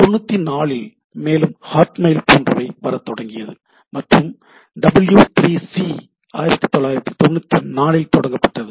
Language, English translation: Tamil, Also there are some other things like 94 Hotmail came into picture, W3C was founded in 1994